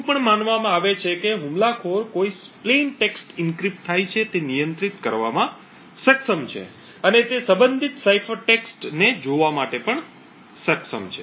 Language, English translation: Gujarati, It is also assumed that the attacker is able to control what plain text gets encrypted and is also able to view the corresponding cipher text